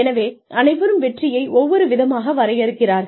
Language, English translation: Tamil, So, everybody defines success, differently